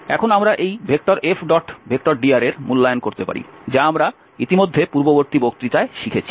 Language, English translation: Bengali, And now we can evaluate this F dot dr which we have already learned in the previous lecture